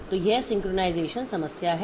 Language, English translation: Hindi, So, that is the synchronization problem